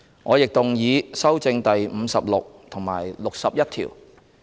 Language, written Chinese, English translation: Cantonese, 我亦動議修正第56及61條。, I also move the amendments to clauses 56 and 61